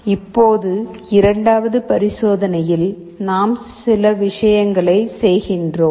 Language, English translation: Tamil, Now in the second experiment, we are doing certain things